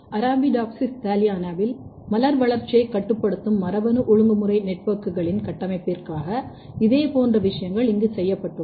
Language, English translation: Tamil, Similar kind of things has been done here, where architecture of gene regulatory networks controlling flower development in Arabidopsis thaliana